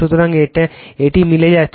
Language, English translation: Bengali, So, it is matching right